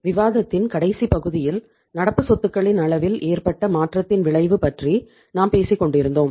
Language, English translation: Tamil, So in the last part of discussion we were talking about the effect of change in the level of current assets